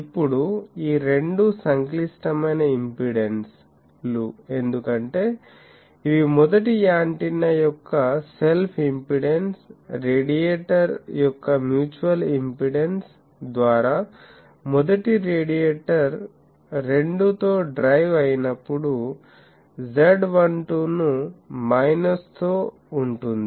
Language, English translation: Telugu, Now, these two are complex impedances, because these are self impedance of the first antenna as the, first radiator by the mutual impedance of the this radiator when it is driven by 2, z12 with the minus